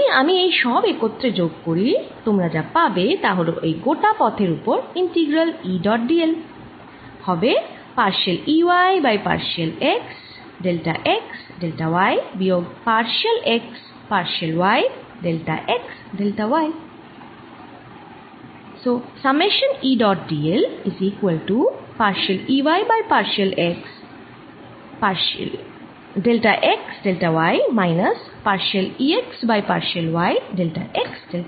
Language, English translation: Bengali, if i add all this together, what you're going to get is that the integral e, dot, d, l over this entire path is going to come out to be partial e, y over partial x, delta x, delta y minus partial e x over partial y, delta x, delta y